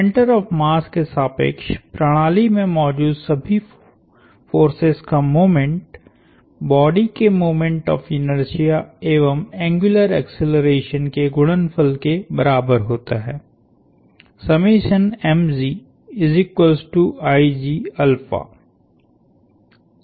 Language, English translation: Hindi, The moments of all the forces in the system taken about the mass center is equal to the moment of inertia of the body times the angular acceleration